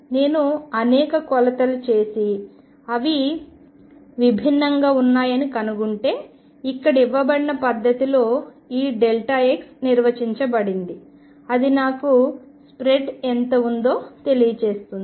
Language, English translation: Telugu, If I make several measurements and find that they are different this delta x defined in the manner given here gives me how much is the spread